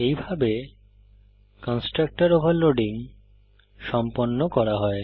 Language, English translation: Bengali, This is how constructor overloading is done